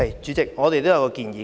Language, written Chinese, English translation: Cantonese, 主席，我們也有一項建議。, President we do have a suggestion